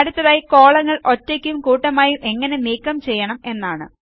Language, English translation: Malayalam, Next we will learn about how to delete Columns individually and in groups